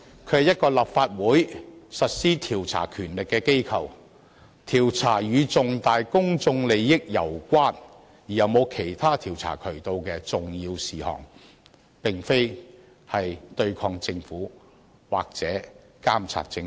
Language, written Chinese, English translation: Cantonese, 它是立法會行使調查權力的途徑，調查攸關重大公眾利益而又沒有其他調查渠道的重要事項，其功能並非對抗政府或監察政府。, A select committee is a means for the Legislative Council to exercise its power of investigation and make inquiries about important issues which involve significant public interests when no other means of investigation is available . Opposing or monitoring the Government is not a function of a select committee